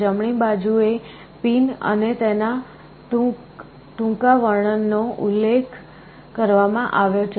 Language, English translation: Gujarati, On the right the pins and their brief descriptions are mentioned